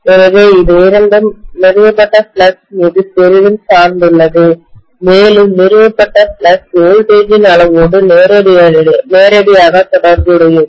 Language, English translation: Tamil, So both of them depend heavily upon the flux established, and the flux established is directly related to the amount of voltage